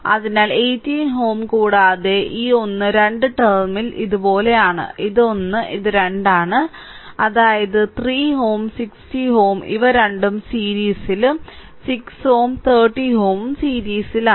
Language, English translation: Malayalam, So, 18 ohm and this one and 2 terminal is like this, this is 1 this is 2 right; that means, let me clear it; that means, 3 ohm and 60 ohm this two are in series and 6 ohm and 30 ohm they are in series